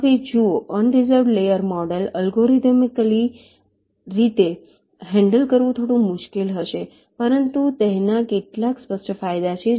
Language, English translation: Gujarati, now see unreserved layer model, maybe little difficult to handle algorithmically but has some obvious advantages